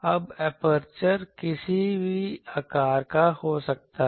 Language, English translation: Hindi, Now, aperture may be of any shape